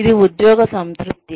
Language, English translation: Telugu, Is it job satisfaction